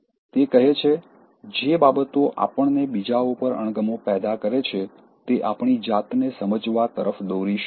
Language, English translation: Gujarati, He says, “Everything that irritates us about others can lead us to an understanding of ourselves